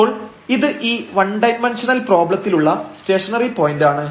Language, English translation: Malayalam, So, here this is a stationary point in this one dimensional problem